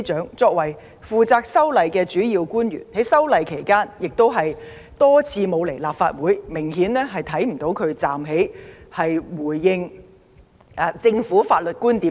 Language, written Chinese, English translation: Cantonese, 她身為負責修例工作的主要官員，在推動修例期間卻多次缺席立法會的會議，完全看不到她站在最前線闡釋政府的法律觀點。, She is the senior government official bearing the greatest responsibility for the proposed legislative amendment exercise . When the amendments were put forward for consideration she was absent from many meetings of the Legislative Council and was never in the front line to explain the legal viewpoints of the Government